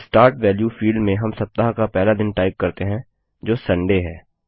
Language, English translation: Hindi, In the Start value field, we type our first day of the week, that is, Sunday